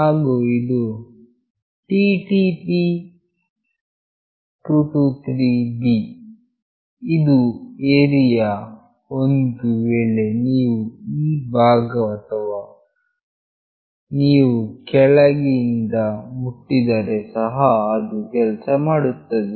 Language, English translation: Kannada, And this is TTP223B; this is the area if you touch either this part or if you touch from below also it will work